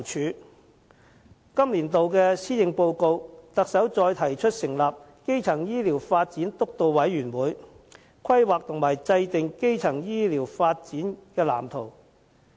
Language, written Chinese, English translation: Cantonese, 在今年度的施政報告，特首再提出成立基層醫療健康發展督導委員會，規劃及制訂基層醫療發展藍圖。, In the Policy Address this year the Chief Executive talked about establishing a steering committee on primary health care development to plan and draw up a development blueprint for primary health care services